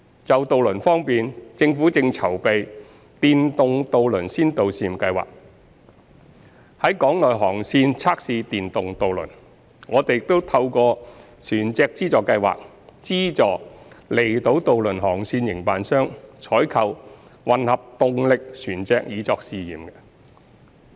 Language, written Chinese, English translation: Cantonese, 就渡輪方面，政府正籌備電動渡輪先導試驗計劃，在港內航線測試電動渡輪。我們亦透過船隻資助計劃，資助離島渡輪航線營辦商採購混合動力船隻以作試驗。, In terms of ferries the Government is preparing to launch a pilot scheme to test the operation of electric ferries in in - harbour ferry routes and is subsidizing outlying island ferry operators to procure hybrid ferries for trial through the Vessel Subsidy Scheme